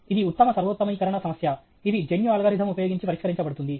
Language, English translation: Telugu, It is the classic optimization problem; use genetic algorithm